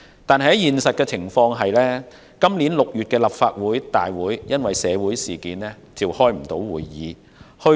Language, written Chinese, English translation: Cantonese, 然而，現實情況卻是，今年6月的立法會大會因社會事件爆發而無法召開。, Nevertheless the reality was that the Council meetings in June this year could not be commenced due to the outbreak of a social incident